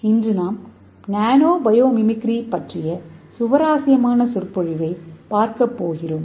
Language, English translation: Tamil, Today we are going to see an interesting lecture that is nano biomimicry